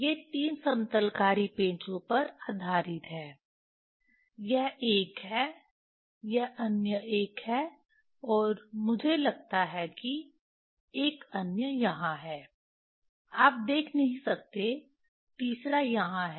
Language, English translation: Hindi, This is based this based on 3 leveling screw, this is one, this is another, and this is I think another one is here; you cannot see, third one is here